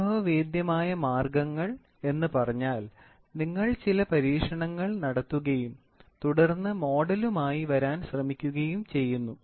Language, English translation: Malayalam, Empirical means, you do some experiments and then you try to come up with the model